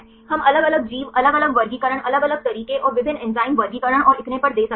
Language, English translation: Hindi, We can give the different organism, different taxonomy, different methods and different enzyme classification and so on